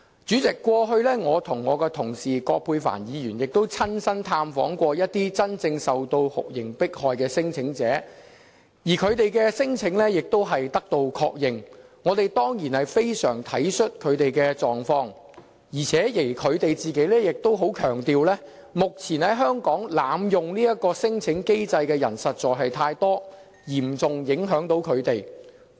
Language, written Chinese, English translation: Cantonese, 主席，過去我與同事葛珮帆議員亦曾親身探訪一些真正受酷刑迫害的聲請者，而他們的聲請亦獲確認，我們當然非常體恤他們的狀況，而且他們亦強調，目前在香港濫用這項聲請機制的人實在太多，嚴重影響他們。, President my colleague Dr Elizabeth QUAT and I have visited some genuine torture claimants . We of course are sympathetic with their situation yet they emphasize that they are seriously affected by the large number of people abusing the system